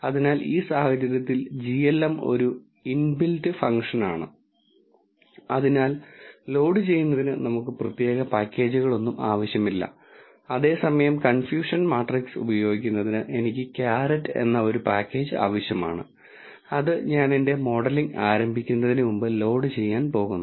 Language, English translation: Malayalam, So, in this case glm is an inbuilt function so we do not need any specific package to loaded whereas to use the confusion matrix I need a package called carrot which I am going to load before I begin my modeling